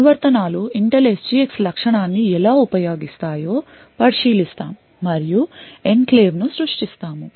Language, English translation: Telugu, We will look at how applications would use the Intel SGX feature and we create enclaves